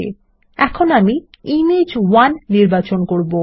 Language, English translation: Bengali, So, I will choose Image1